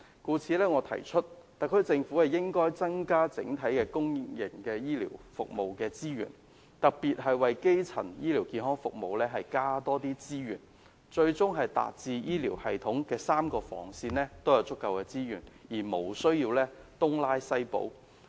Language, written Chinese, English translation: Cantonese, 因此，我提議特區政府應該增加整體公營醫療服務的資源，特別為基層醫療健康服務增加多些資源，最終達致醫療系統3個防線也有足夠的資源，無須東拉西補。, Therefore I suggest that the SAR Government should increase the overall resources for public health care services and increase resources specifically for primary health care services . So ultimately all three lines of defence will have adequate resources and the Government needs not rob whoever to pay the others